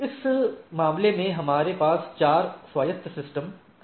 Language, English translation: Hindi, So, in this case we have you see we have 4 autonomous systems